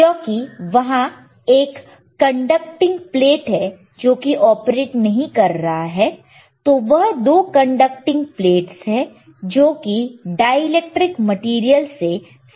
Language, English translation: Hindi, bBecause you have a conducting plate, you have a conducting plate when, when it is not operating, it is is like a 2 conducting plates separated by some material by some dielectric material